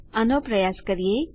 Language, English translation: Gujarati, Lets just try it